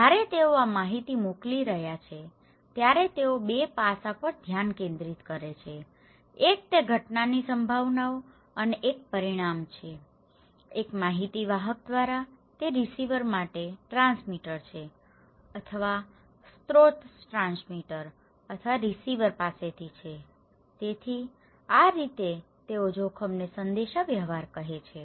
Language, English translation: Gujarati, When they are sending this informations, they focus in 2 aspects; one is the probabilities and consequence of that event, from one information bearer, that is the transmitter to the receiver or the from the source transmitter or receiver okay so, these way they communicate the risk